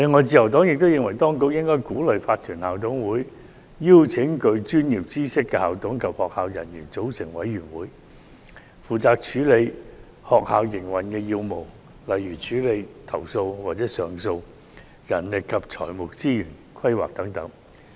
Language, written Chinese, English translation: Cantonese, 自由黨亦認為，當局應鼓勵法團校董會邀請具專業知識的校董及學校人員組成委員會，負責處理學校營運要務，例如處理投訴或上訴、人力及財務資源規劃等。, The Liberal Party also considers that the authorities should encourage IMCs to invite school managers and school staff members with professional knowledge to form committees to deal with important tasks related to school operation eg . complaints or appeals manpower and financial resources planning etc